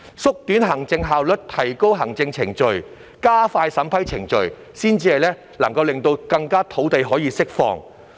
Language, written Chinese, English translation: Cantonese, 只有提高行政效率、縮短行政程序及加快審批程序，才可更快釋放土地。, Only by enhancing administrative efficiency streamlining administrative procedures and expediting the vetting and approval process can land be released more quickly